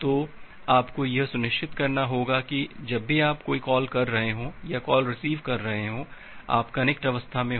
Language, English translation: Hindi, So, what you have to ensure that whenever you are making a send call or the receive call, you are there in the connect state